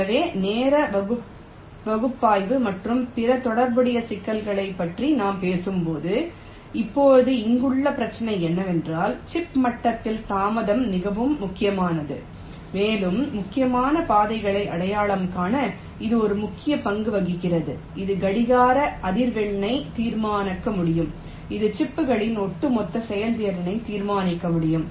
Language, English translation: Tamil, so when we talk about ah, the timing analysis and other related issues, now the issue here is that delay at the chip level is quite important and it plays an important role to identify the critical paths which in turn can determine the clock frequency which in turn can determine the overall performance of the chips